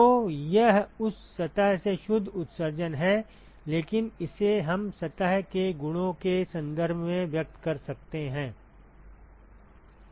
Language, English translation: Hindi, So, it is the net emission from that surface, but that we can express in terms of the properties of the surface right